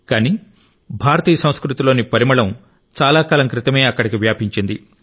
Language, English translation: Telugu, However, the fragrance of Indian culture has been there for a long time